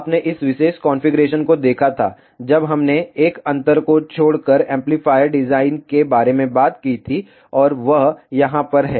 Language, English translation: Hindi, You had seen this particular configuration, when we talked about amplifier design except for 1 difference and that is over here